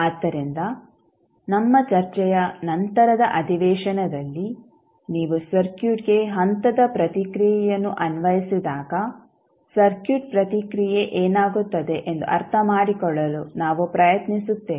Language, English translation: Kannada, So, in the later session of our discussion we will try to understand that what will happen to the circuit response when you apply step response to the circuit